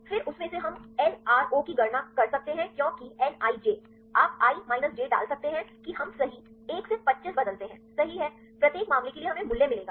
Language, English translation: Hindi, Then from that we can calculate the LRO because nij; you can put i minus j that we change right 1 to 25, right, for each case, we will get the value